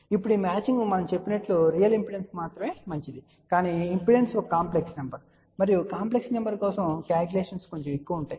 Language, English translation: Telugu, Now of course, this matching is only good for real impedance as we mention but impedance can be a complex number and for complex number, calculations become little bit more involved